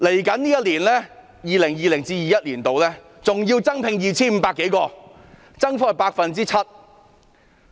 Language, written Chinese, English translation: Cantonese, 在 2020-2021 年度，還會增聘 2,500 多人，增幅達 7%。, In 2020 - 2021 an additional 2 500 officers will be recruited representing an increase of 7 %